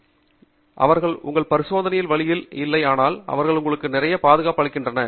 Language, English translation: Tamil, So, they do not get in the way of your experiment, but they provide you with a lot of protection